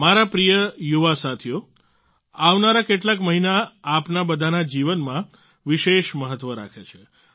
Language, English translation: Gujarati, the coming few months are of special importance in the lives of all of you